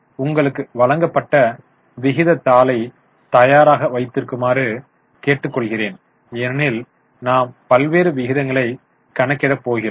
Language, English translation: Tamil, I will request you to keep your ratio sheet ready because we will be calculating various ratios